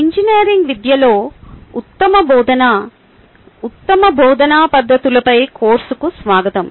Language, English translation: Telugu, hello, welcome to the course on best teaching practices in engineering education